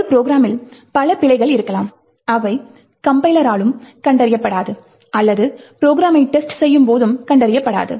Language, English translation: Tamil, So, there could be several bugs in a program which do not get detected by the compiler or while testing the program